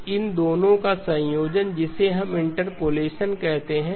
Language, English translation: Hindi, So the combination of these two is what we call as interpolation